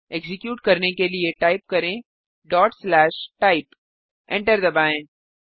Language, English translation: Hindi, To execute, type ./type.Press Enter